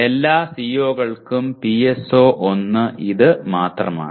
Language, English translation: Malayalam, And PSO1 for all the COs it is only this